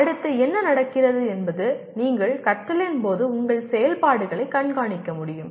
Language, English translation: Tamil, Then what happens next is you should be able to monitor your activities during learning